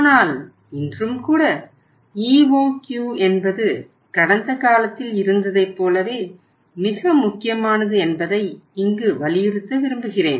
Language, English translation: Tamil, But I would like to emphasize hereupon that even today also EOQ is that much important as it was in the past